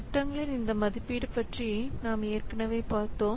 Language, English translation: Tamil, We have already seen about this evaluation of projects